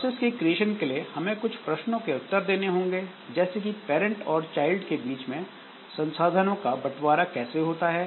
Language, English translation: Hindi, So, for creation of process, so we have to answer certain questions like how resources are shared among parent and child parents, child processes